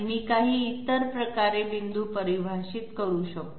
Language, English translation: Marathi, Can I define points in some other manner